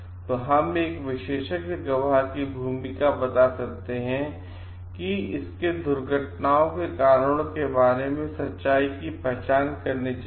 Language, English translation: Hindi, So, in a natural we can tell the role of expert witness is to identify the truth about the may be causes of accidents